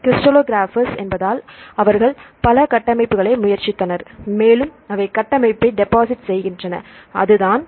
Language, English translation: Tamil, So, because crystallographers, they tried several structures and they deposit the structure, that’s it